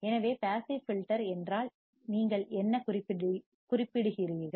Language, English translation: Tamil, So, what do you mean by passive filters